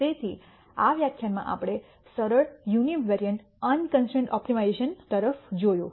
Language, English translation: Gujarati, So, in this lecture we looked at simple univariate unconstrained optimiza tion